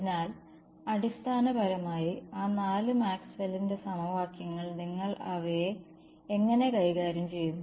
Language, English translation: Malayalam, So, all basically those four Maxwell’s equations, how you treat them